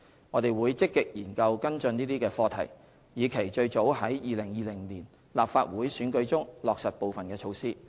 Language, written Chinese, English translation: Cantonese, 我們會積極研究跟進這些課題，以期最早於2020年立法會選舉中落實部分措施。, We will proactively study and follow up on these issues with a view to realizing some of the measures as early as in the 2020 Legislative Council election